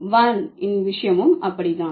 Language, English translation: Tamil, Similar is the case with WAN